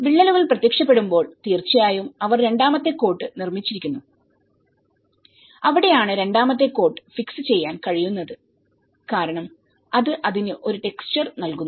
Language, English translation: Malayalam, So, when the cracks have appeared obviously they are made of a second coat that is where it can fix the second coat because it gives a texture for it